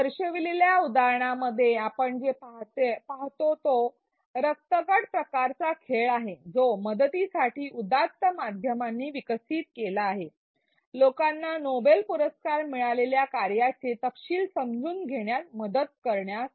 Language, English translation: Marathi, In the example shown what we see is a blood typing game developed by the noble media to help; to help lay people understand the details of work that has got Noble Prizes